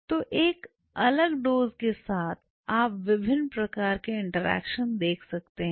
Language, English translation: Hindi, So, with different dosage you can see different kind of interactions which are happening